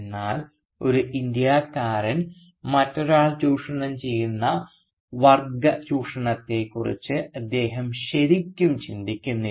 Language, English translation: Malayalam, But he does not really think through the exploitation of one Indian by another which is a class exploitation